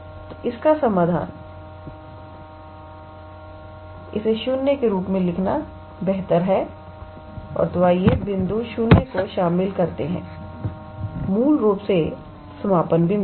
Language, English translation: Hindi, So, solution here, it is better to write as 0 and then, let us include the point 0; basically the endpoints